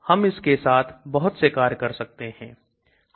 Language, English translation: Hindi, I can do lot of things with this